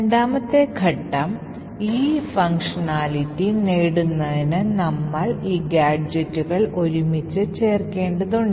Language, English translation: Malayalam, The second step is that we want to stitch these useful gadgets together